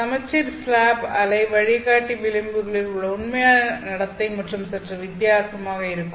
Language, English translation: Tamil, For the case of this symmetric slab wave guide, the actual behavior at the edges here will be slightly different